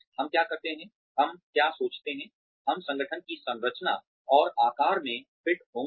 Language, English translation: Hindi, What do we, where do we think, we will fit into the organization's structure and shape